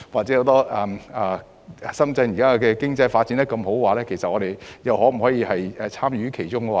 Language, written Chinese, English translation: Cantonese, 現時深圳的經濟發展蓬勃，香港能否參與其中呢？, Can Hong Kong have a role to play in Shenzhens vibrant economic development at present?